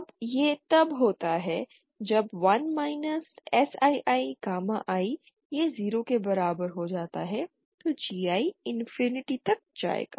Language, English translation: Hindi, Now this happens when 1 ASSI gamma I this becomes equal to 0 then GI will tend to infinity